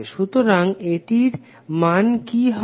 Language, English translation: Bengali, So what would be the value of this